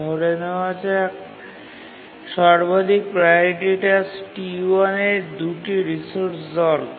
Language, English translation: Bengali, Let's assume that the highest priority task T1 needs several resources